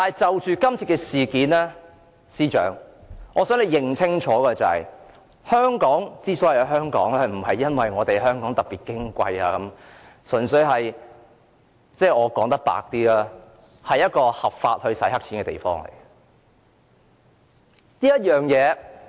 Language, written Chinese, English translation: Cantonese, 就今次的事件，我想司長清楚認識到，香港之所以是香港，不是因為香港特別矜貴，而是因為香港純粹是一個合法洗黑錢的地方。, Considering the current incident I think the Chief Secretary would clearly understand that Hong Kong is what it is today not because it is particularly privileged but because Hong Kong is exactly a place in which money illegally obtained can be lawfully laundered